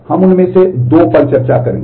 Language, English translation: Hindi, We will discuss two of them